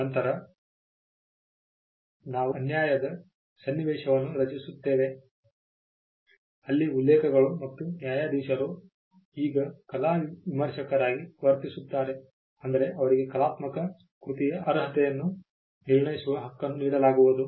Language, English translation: Kannada, Then we would create an unfair situation where quotes and judges will now act as art critics in the sense that they would now be given the right to judge the merit of an artistic work